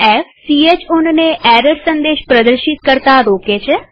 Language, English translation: Gujarati, f: Prevents ch own from displaying error messages